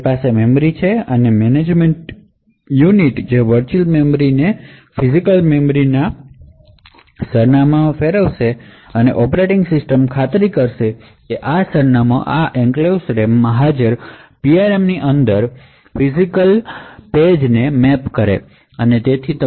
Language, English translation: Gujarati, So, we have the memory management unit which converts the virtual memory to the physical memory address and the operating system would ensure that addresses form this enclave gets mapped to physical pages within the PRM present in the RAM